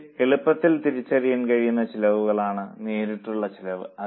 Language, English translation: Malayalam, So, the direct costs are those costs which can be easily identified